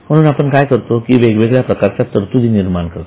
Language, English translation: Marathi, So, what we do is we create different types of provisions